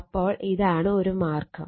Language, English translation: Malayalam, So, this is one way